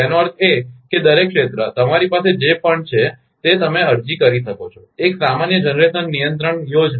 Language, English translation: Gujarati, That means, each area, whatever you have that you can apply, a common generation control scheme